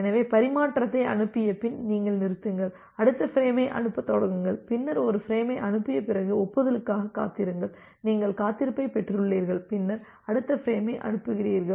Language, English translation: Tamil, So, you stop after sending transmission, start sending the next frame, after sending one frame then, wait for the acknowledgement; one you have received the wait, then you send the next frame